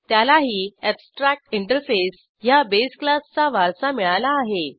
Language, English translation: Marathi, This also inherits the base class abstractinterface